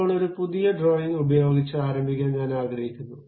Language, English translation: Malayalam, Now, I would like to begin with a new drawing